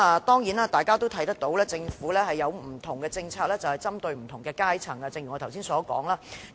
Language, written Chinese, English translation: Cantonese, 當然大家見到，正如我剛才所說，針對不同的階層，政府設有不同的政策。, Certainly we can see like I said just now the Government has different policies targeting different social strata